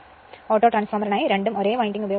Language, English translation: Malayalam, For Autotransformer, the same winding we are using for both right